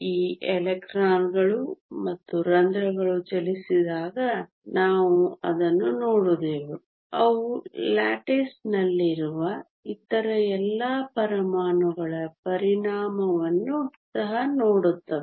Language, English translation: Kannada, When these electrons and holes move we also saw that, they also see the effect of all the other atoms in the lattice